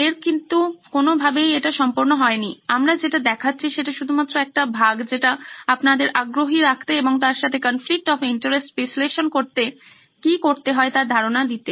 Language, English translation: Bengali, It’s by no means complete, it’s just one part that we are showing for to keep you interested as well as to keep give you a flavour of what it is to do a conflict of interest analysis